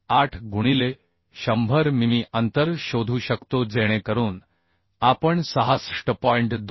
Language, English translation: Marathi, 8 into 100 mm distance ok so we can find out 66